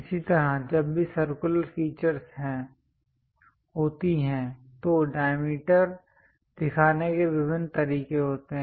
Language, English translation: Hindi, Similarly, whenever circular features are there, there are different ways of showing diameter